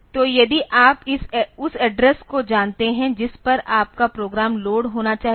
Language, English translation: Hindi, So, if you know the address at which your program should be loaded